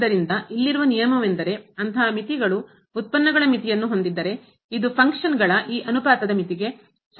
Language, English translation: Kannada, So, this is the rule here that if such limits exists the limit of the derivatives, then we this will be equal to the limit of this ratio of the functions